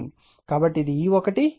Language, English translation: Telugu, So, this is E 1 E 2